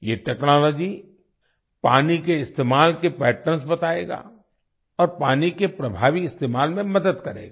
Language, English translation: Hindi, This technology will tell us about the patterns of water usage and will help in effective use of water